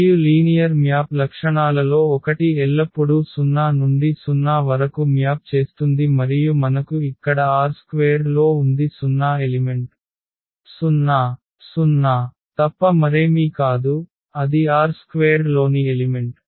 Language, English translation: Telugu, And this is clear from here because one of the properties of the linear map is that it always maps 0 to 0 and we have here in R 2 our 0 element is nothing but 0 comma 0, that is the element in R 2